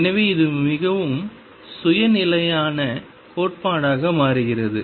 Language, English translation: Tamil, So, this becomes a very self consistent theory